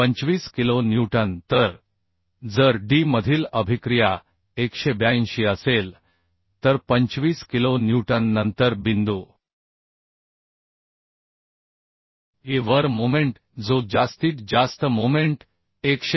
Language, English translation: Marathi, 25 kilonewton then moment at point E which is the maximum moment that will become 182